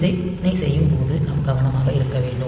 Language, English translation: Tamil, So, we have to be careful while doing this check